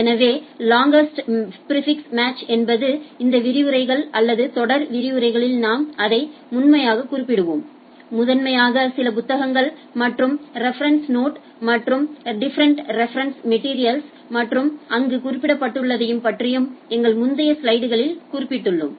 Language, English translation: Tamil, So, longest prefix match and we’ll be primarily referring this in the in whole of these lectures or series of lectures will be primarily referring some of the books and reference note and difference reference materials and of as mentioned there and as we have mentioned in our earlier slides also right